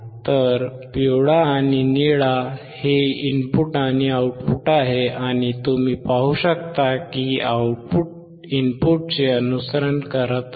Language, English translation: Marathi, So, yellow and blue are the input and output, and you can see that the output is following the input